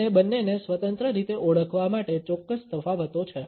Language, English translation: Gujarati, And there are certain distinct differences to identify the two independently